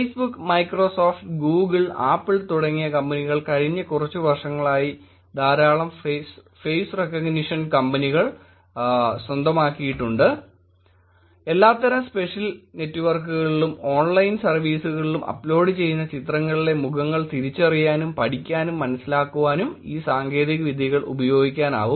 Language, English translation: Malayalam, Companies like Facebook, Microsoft, Google, Apple have actually acquired a lot of face recognition companies in the last few years, to study, to understand, to use these technologies to identify faces on pictures that are being uploaded on the all social networks or online services